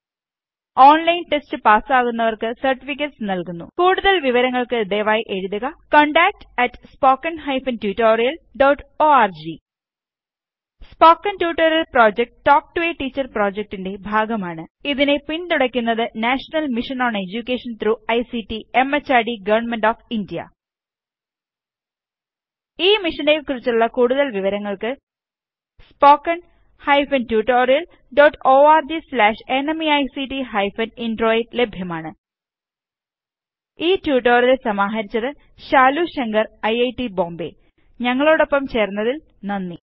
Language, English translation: Malayalam, Gives certificates for those who pass an online test For more details please write to contact@spoken tutorial.org Spoken Tutorial Project is a part of the Talk to a Teacher project, It is supported by the National Mission on Education through ICT, MHRD, Government of India More information on this mission is available at spoken hyphen tutorial dot org slash NMEICT hyphen Intro This tutorial has been contributed by DesiCrew Solutions Pvt.Ltd Thanks for joining